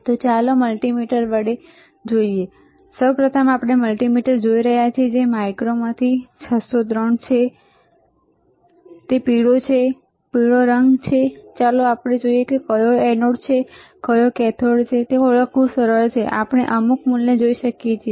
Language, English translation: Gujarati, So, let us see with multimeter, first we are looking at the multimeter which is 603 from mico this is yellowish one, yellow colour and let us see the which is anode, which is cathode it is easy to identify if we can see some value yes, right